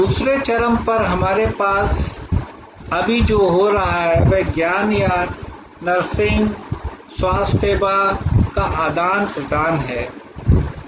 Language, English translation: Hindi, At the other extreme we have what is happening right now here, teaching exchange of knowledge or nursing, healthcare